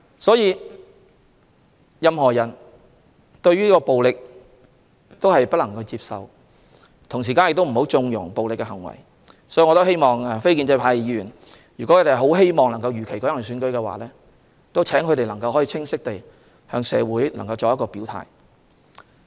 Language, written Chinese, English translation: Cantonese, 所有人都不能接受暴力，亦不應縱容暴力行為，所以，如果非建制派議員希望如期舉行選舉，請他們清晰地向社會人士作出表態。, None of us can accept violence and we should not condone acts of violence . So if non - establishment Members want the Election to be held as scheduled may I ask them to clearly state their positions to members of the public